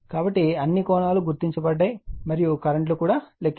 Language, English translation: Telugu, So, all the angles are marked and your current are also computed, right